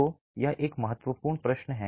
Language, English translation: Hindi, So, that is an important question